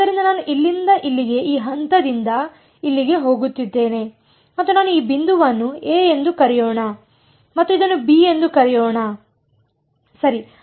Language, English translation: Kannada, So, I am going from here to here from this point over here to this point over here and I want to evaluate let us call this point a and let us call this b ok